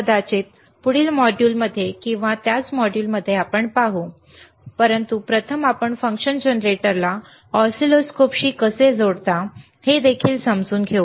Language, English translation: Marathi, pProbably in the next module or in the same module let us see, but first let us understand how you can connect the function generator to the oscilloscope